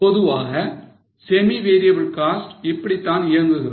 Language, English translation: Tamil, This is how normally semi variable costs operate